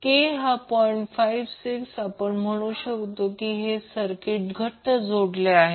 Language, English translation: Marathi, 56, we will say that the circuit is tightly coupled